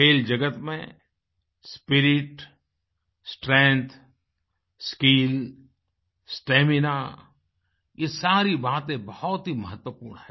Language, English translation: Hindi, Elements like spirit, strength, skill, stamina are extremely important in the world of sports